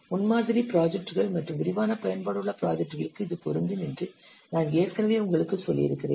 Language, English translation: Tamil, I have already told you this is applicable to prototyping projects and projects where there are extensive reuse